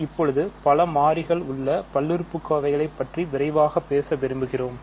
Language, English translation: Tamil, So, now, we want to talk quickly about polynomials in several variables ok